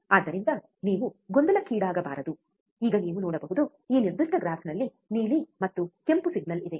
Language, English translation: Kannada, So, just not to confuse you, now you can see, in this particular graph, there is a blue and red signal right